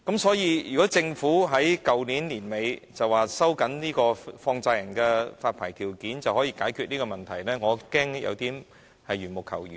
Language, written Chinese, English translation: Cantonese, 所以，政府在去年年底表示，收緊放債人發牌條件便可以解決這個問題，我恐怕有點緣木求魚。, The Government said at the end of last year that the problem could be solved by tightening the licensing conditions of money lenders